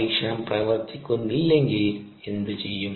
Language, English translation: Malayalam, also, what if the experiment doesn't work